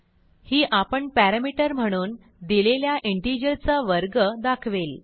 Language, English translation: Marathi, That will display a square of an integer which is given as a parameter